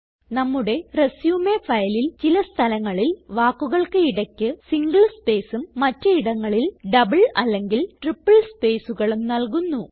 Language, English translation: Malayalam, In our resume file, we shall type some text with single spaces in between words at few places and double and triple spaces between words at other places